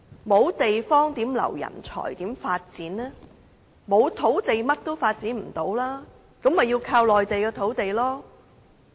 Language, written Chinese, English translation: Cantonese, 沒有土地，便甚麼也不能發展了，那麼便要依靠內地的土地了。, Without land nothing can be developed and in that case it is necessary to rely on land in the Mainland